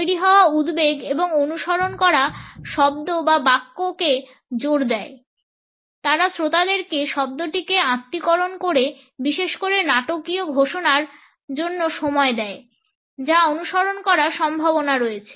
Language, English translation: Bengali, The build up suspense and emphasize the word or sentence that follows, they also give time to the listener to assimilate the word particularly for the dramatic announcement which is likely to follow